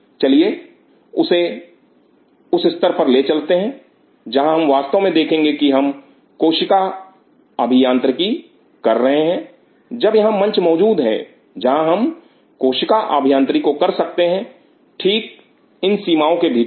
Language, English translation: Hindi, Let us go take it to that level where we can truly see we are doing a cell engineering when here is the platform, where we can do the cell engineering right within these limitations